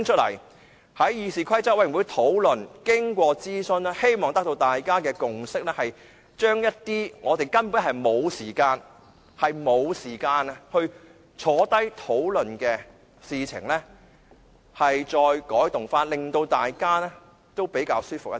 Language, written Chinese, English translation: Cantonese, 我希望經過議事規則委員會的討論和諮詢，大家可以達成共識，將一些我們根本沒有時間共同討論的事宜再改動，令大家比較舒服一點。, I hope that we can reach a consensus through discussion and consultation at the Committee on Rules of Procedure whereby further changes can be made to items which we do not have time for a discussion . This arrangement can facilitate our work